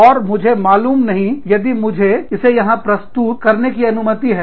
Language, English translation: Hindi, And, i do not know, if i have the liberty, to mention it here